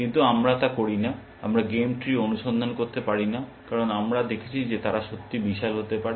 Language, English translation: Bengali, But we do not; we cannot search the game tree, because we have seen that they can be really huge